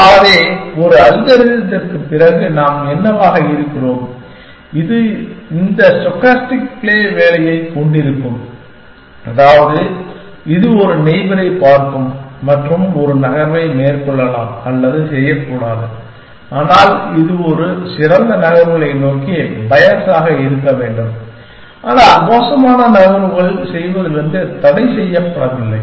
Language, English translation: Tamil, So, what are we after we are after an algorithm, which will have this stochastic play work, which means that it will look at a neighbor and may or may not make a move, but it should be bios towards better moves, but not barred from making bad moves